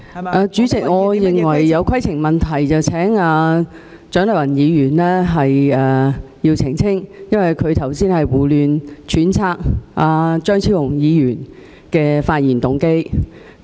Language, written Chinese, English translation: Cantonese, 代理主席，我有規程問題，請蔣麗芸議員澄清，因為她剛才胡亂揣測張超雄議員的發言動機。, Deputy President I wish to raise a point of order . I wish to seek elucidation from Dr CHIANG Lai - wan because she has irresponsibly speculated the motives of Dr Fernando CHEUNG